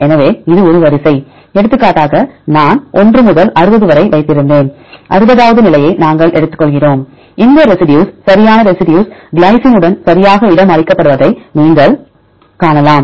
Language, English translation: Tamil, So, this is a sequence just for example, I kept from 1 to 60, we take the sixtieth position you can see all the residues right this positions right are accommodated with the residue glycine